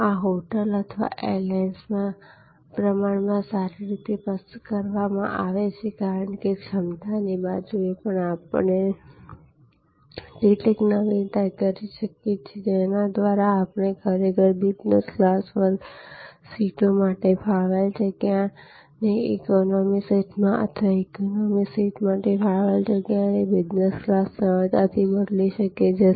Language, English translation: Gujarati, These are relatively well done in a hotel or on an airlines, because on the capacity side also we can do some innovation, whereby we can actually easily convert the space allocated for business class seats to economy seats or the space allocated for economy seats to business class seats depending on shifting demand